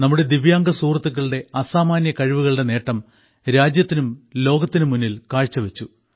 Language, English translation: Malayalam, It has served to bring the benefit of the extraordinary abilities of the Divyang friends to the country and the world